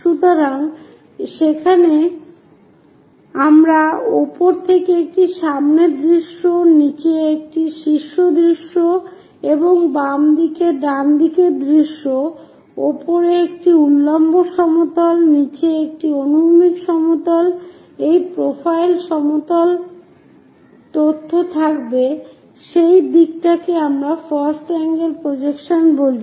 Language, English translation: Bengali, So, there we will be having a front view on top, a top view on the bottom, and a left side view on the right hand side, a vertical plane on top, a horizontal plane at bottom, a profile plane information at side that what we call first angle projection